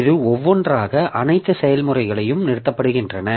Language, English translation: Tamil, So, this is one by one, all the processes are terminated